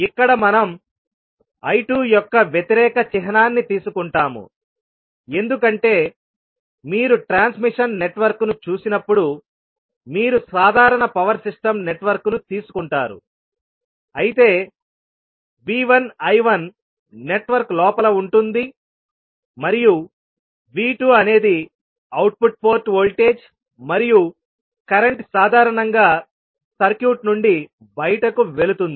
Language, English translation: Telugu, So here the important thing is that till now we shown the relationship between V 1 I 1 and V 2 I 2, here we are considering the opposite sign of I 2 because when you see the transmission network you take the simple power system network where the V 1 I 1 is inside the network and V 2 is the output port voltage and current generally goes out of the circuit